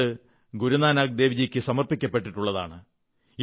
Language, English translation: Malayalam, It is believed that Guru Nanak Dev Ji had halted there